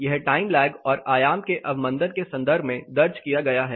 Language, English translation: Hindi, This is recorded in terms of time lag and the amplitude reduction